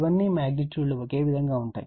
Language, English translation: Telugu, These are all magnitudes the same